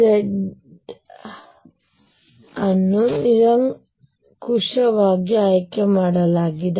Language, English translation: Kannada, So, z is chosen arbitrarily